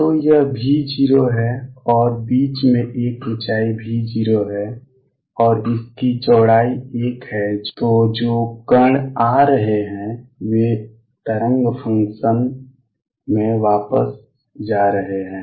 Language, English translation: Hindi, So, this is V 0, and in between there is a height V 0 and the width of this is a then the particles which are coming in have the wave function coming in wave function going back